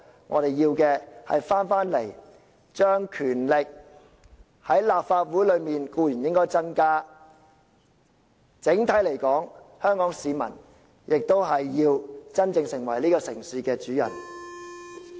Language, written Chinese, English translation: Cantonese, 我們在立法會內的權力固然應該增加，但整體而言，香港市民亦要真正成為這個城市的主人。, While our powers in the Legislative Council certainly should be enhanced from a broader perspective it is also imperative for the people of Hong Kong to really become the master of this city